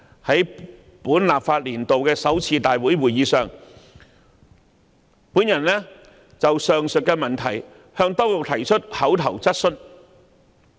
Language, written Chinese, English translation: Cantonese, 在本立法年度的首次立法會會議上，我就上述問題向當局提出口頭質詢。, At the first Council meeting in this legislative session I put an oral question to the authorities about the aforesaid issue